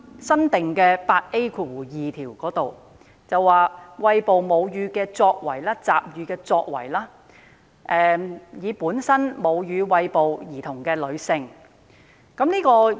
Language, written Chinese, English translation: Cantonese, 新訂第 8A2 條涵蓋餵哺母乳、集乳的作為，以及餵哺母乳的女性。, The new section 8A2 covers breastfeeding and milk collection as well as breastfeeding women